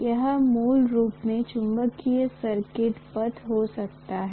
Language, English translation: Hindi, This may be the magnetic circuit path basically